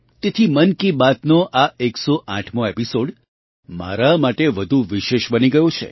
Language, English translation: Gujarati, That's why the 108th episode of 'Mann Ki Baat' has become all the more special for me